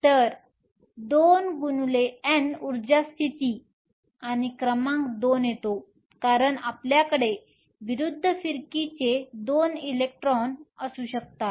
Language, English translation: Marathi, So, 2 times N energy states and the number 2 comes because you can have 2 electrons of opposite spin